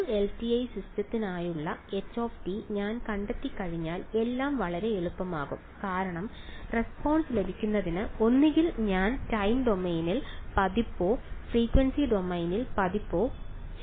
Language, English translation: Malayalam, Once I find out h t for a for a LTI system life becomes very easy because I either do the time domain version or the frequency domain version to get the response right